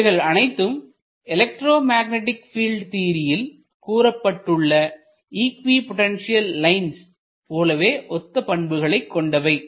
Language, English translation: Tamil, So, this is very much analogous to the equipotential line that you get in say electromagnetic field theory